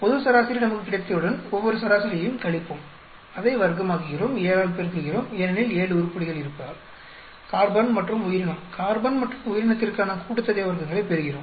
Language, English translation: Tamil, Once we have the global average, we subtract each one of the average, square it up, multiply by 7 because there are seven items, we get the sum of squares for carbon and organism, carbon and organism